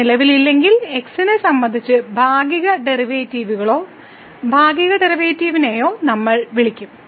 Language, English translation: Malayalam, If it does not exist, we will call the partial derivatives or partial derivative with respect to does not exist